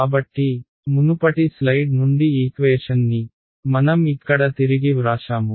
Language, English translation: Telugu, So, I have rewritten the equation from the previous slide over here right